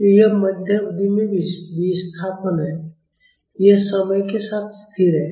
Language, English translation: Hindi, So, this is the displacement at the mid span, it is constant over time